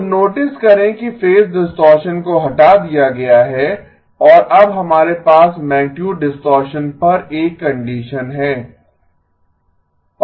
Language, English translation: Hindi, So notice that the phase distortion has been removed and now we have a condition on the magnitude distortion